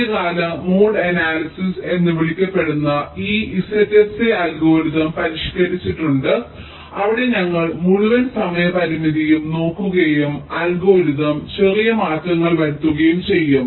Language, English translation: Malayalam, ok, there is modification to these z s a algorithm called early mode analysis, where we will look at the whole time constraint and make some small modification to the algorithm